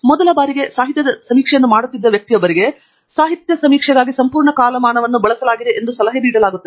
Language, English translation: Kannada, for a person who is doing the literature survey on a topic for the first time, it is advised that the entire time span is used for literature survey